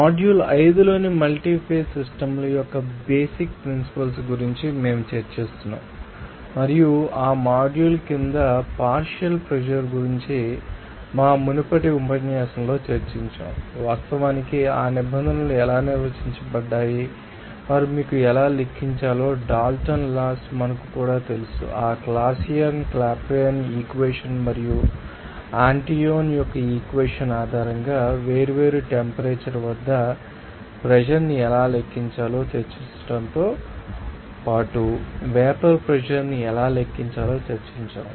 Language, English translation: Telugu, We are discussing about the basic principles of multi phase systems as a module 5 and under that module we have discussed in our previous lecture regarding pressure partial pressure, how actually those terms are defined and also how to calculate you know that Dalton’s law, even we have discussed how to calculate the vapor pressure at different temperature based on that Clausius Clapeyron equation and Antoine’s equation even how to calculate the vapor pressure